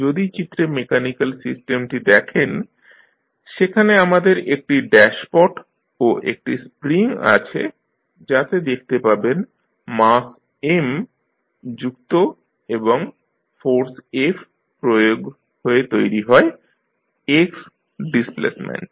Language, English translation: Bengali, If you see the mechanical system shown in the figure, we have one dashpot and one spring at which you see the mass M connected and force F is applied which is giving the displacement X